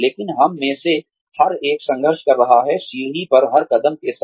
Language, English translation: Hindi, But, every one of us is struggling, with every step on the staircase